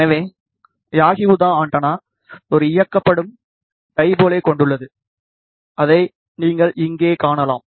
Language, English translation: Tamil, So, yagi uda antenna consist of one driven dipole, which you can see over here